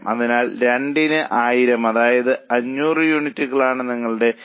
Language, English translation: Malayalam, So, $1,000 upon 2, that means 500 units becomes your BEP